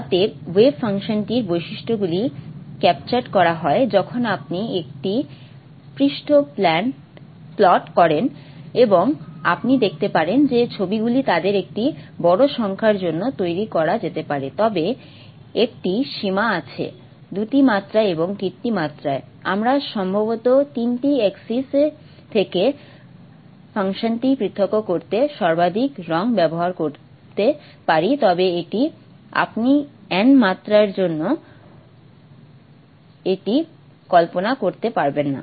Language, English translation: Bengali, Therefore the features are captured, the way function features are captured when you do a surface plot and you can see that the pictures can be created for a large number of them but there is a limit to dimensions and in three dimension we probably can use color at the most to distinguish the function from the three axis, but that's it